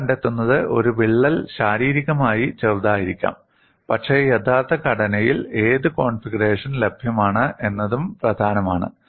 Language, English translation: Malayalam, What you find is, a crack can be shorter physically, but what configuration it is available on the actual structure also matters